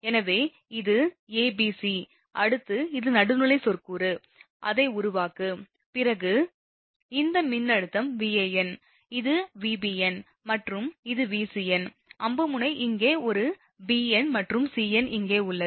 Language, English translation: Tamil, So, it is a, it is b, it is c, next is this term neutral you make it, then this voltage will be Van, this voltage will be Vbn and this voltage will be Vcn, arrow tip is here for an bn and cn here right